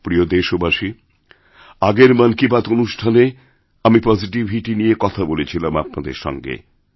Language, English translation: Bengali, My dear countrymen, I had talked about positivity during the previous episode of Mann Ki Baat